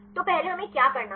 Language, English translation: Hindi, So, what first what we have to do